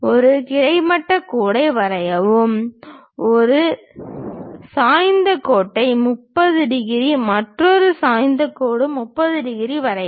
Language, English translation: Tamil, Draw a horizontal line draw an incline line 30 degrees, another incline line 30 degrees